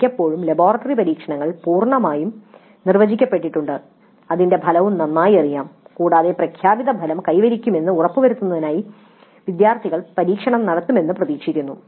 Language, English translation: Malayalam, Most of the time the laboratory experiments are totally well defined and the outcome is also well known and the students are expected to simply carry out the experiment to ensure that the stated outcome is achieved